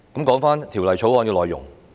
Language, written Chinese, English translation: Cantonese, 說回《條例草案》的內容。, Let us get back to the content of the Bill